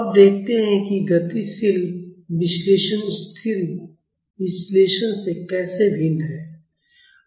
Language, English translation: Hindi, Now, let us see how dynamic analysis is different from static analysis